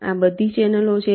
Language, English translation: Gujarati, these are all channels